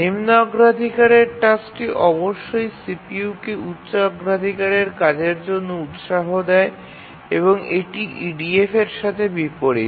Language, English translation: Bengali, So, the lower priority task must yield the CPU to the highest priority task, to the higher priority tasks, and this is contrary to what used to happen in EDF